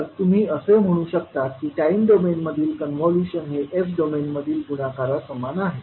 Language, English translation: Marathi, So you can simply say that the convolution in time domain is equivalent to the multiplication in s domain